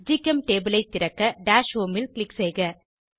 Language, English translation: Tamil, To open GChemTable, click on Dash Home